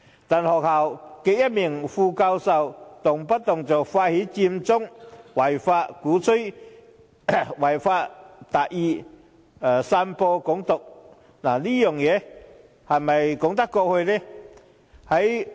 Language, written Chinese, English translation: Cantonese, 但該校的一名副教授卻動輒發動違法佔中、鼓吹"違法達義"、散播"港獨"，這樣說得過去嗎？, However an associate professor of the university readily initiated the illegal Occupy Central movement and propagated achieving justice by violating the law to spread Hong Kong independence . Is it acceptable?